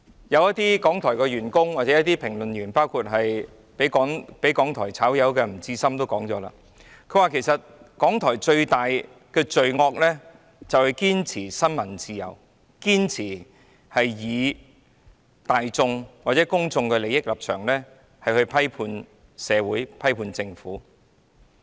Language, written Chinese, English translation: Cantonese, 一些港台員工或評論員，包括被港台辭退的吳志森也說過，其實港台最大的罪惡就是堅持新聞自由、堅持以公眾利益的立場批判社會及批判政府。, As some employees or commentators of RTHK including NG Chi - sum who was sacked by RTHK have said the biggest crime of RTHK is its perseverance in upholding the freedom of the press and its perseverance in criticizing society and the Government from the position of public interest